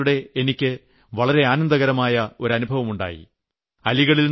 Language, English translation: Malayalam, But recently I had a pleasant experience, real pleasant experience